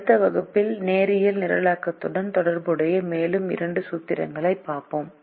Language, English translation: Tamil, in the next class we will look at two more formulations related to linear programming